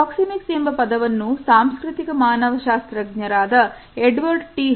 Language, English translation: Kannada, The term proxemics has been coined by the cultural anthropologist, Edward T Hall